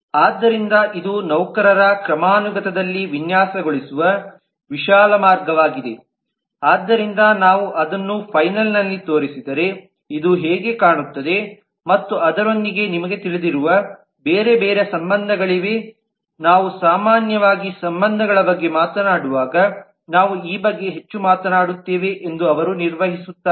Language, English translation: Kannada, so this is the broad way of designing on the employee hierarchy so if we show it in the final form this is how it looks and along with that there are different other relations that they perform we will talk about this more when we talk about the relationships in general